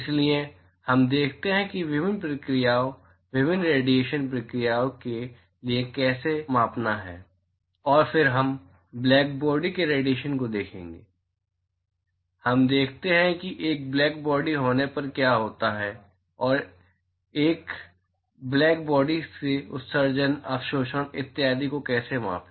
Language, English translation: Hindi, So, we look at how to quantify it for various processes, various radiation processes and then we will look at black body radiation, we look at what happens when there is a black body and how to quantify emission, absorption etcetera from a black body